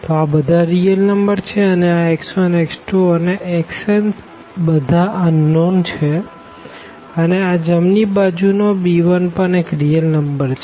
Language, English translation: Gujarati, So, they are the real numbers and the x 1 x 2 x 3 and x n they are the unknowns and the right hand side b 1 again some real number